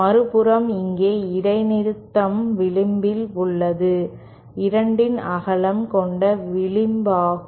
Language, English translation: Tamil, On the other hand, here the discontinuity is along the edge, along the edge which is the lesser width of the 2